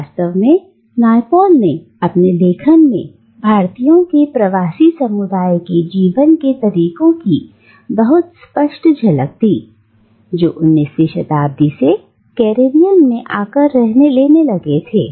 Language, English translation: Hindi, And in fact, Naipaul in his writings give a very vivid glimpse into the ways of life of diasporic community of Indians that started taking shape in the Caribbean from the 19th century